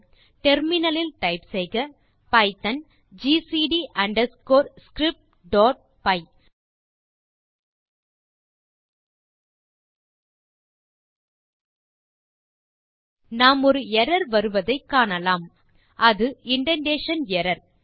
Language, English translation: Tamil, So type in terminal python gcd underscore script.py We can see that There is an error coming up, its showing indentation error